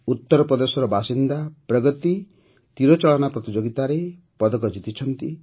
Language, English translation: Odia, Pragati, a resident of UP, has won a medal in Archery